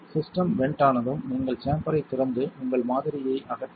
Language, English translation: Tamil, Once the system is vented you may open the chamber and remove your sample